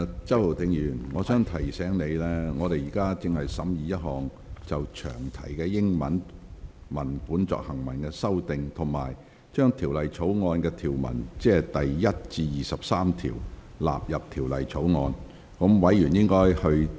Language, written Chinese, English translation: Cantonese, 周浩鼎議員，我提醒你，全體委員會現正審議一項就詳題英文文本作出行文修訂的修正案，以及應否將第1至23條納入《條例草案》。, Mr Holden CHOW I remind you that the committee of the whole Council is now examining an amendment to amend the English text of the long title and whether or not clauses 1 to 23 should stand part of the Bill